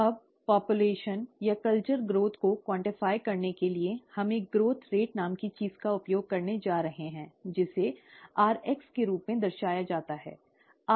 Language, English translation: Hindi, Now to quantify the population or culture growth, we are going to use something called a growth rate, which is represented as r subscript x, rx